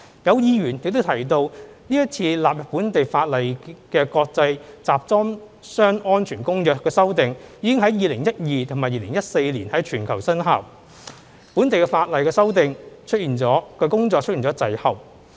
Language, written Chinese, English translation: Cantonese, 有議員亦提及是次納入本地法例的《公約》修訂已於2012年及2014年在全球生效，本地的法例修訂工作出現滯後。, Some Members mentioned that the amendments in the Convention to be incorporated into local legislation this time around came into force globally in 2012 and 2014 respectively Hong Kong lags behind in amending local legislation